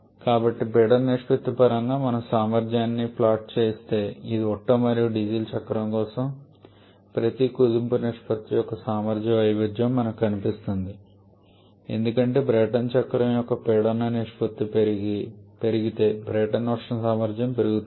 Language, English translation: Telugu, So, if we plot the efficiency in terms of the pressure ratio, then this will look like just what we got as a efficiency variation each compression ratio for Otto and Diesel cycle, as pressure ratio increases on the Brayton thermal efficiency of a Brayton cycle, that also keeps on increasing